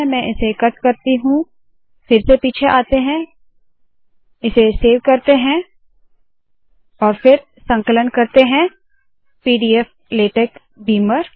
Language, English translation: Hindi, Let me cut it, let me come back here, Let me save it, and then compile it – pdflatex beamer